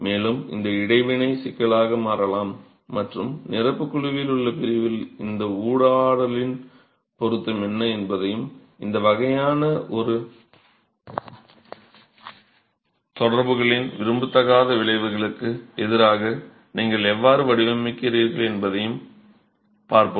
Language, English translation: Tamil, And this interaction can become problematic and in the section on infill panel we will look at what is the relevance of this interaction and how do you design against the undesirable effects of this sort of an interaction